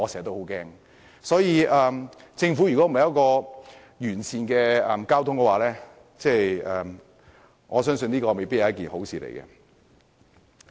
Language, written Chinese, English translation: Cantonese, 因此，如果政府未能推出完善的交通政策，我相信這未必是一件好事。, Hence I believe it may not do any good if the Government still fails to come up with a comprehensive transport policy